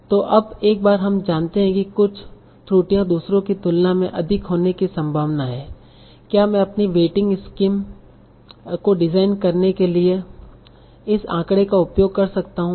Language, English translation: Hindi, So now once we know that some errors are more likely than others, can I use that this statistic to design my waiting scheme